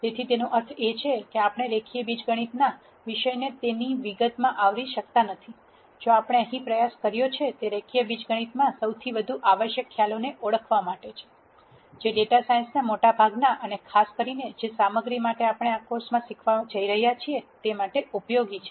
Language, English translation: Gujarati, So, that necessarily means that we cannot cover the topic of linear algebra in all its detail; however, what we have attempted to do here is to identify the most im portant concepts from linear algebra, that are useful in the eld of data science and in particular for the material that we are going to teach in this course